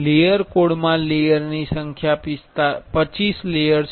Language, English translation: Gujarati, The layer code the number of layer is 25 layers